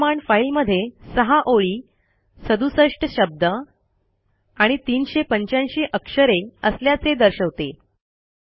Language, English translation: Marathi, These command points out that the file has 6 lines, 67 words and 385 characters